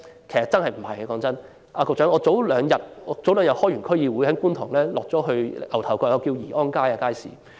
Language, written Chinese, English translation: Cantonese, 局長，我前兩天出席區議會會議後，曾經前往觀塘牛頭角的宜安街街市。, Secretary I visited Yee On Street Market in Ngau Tau Kok Kwun Tong two days ago after attending a District Council meeting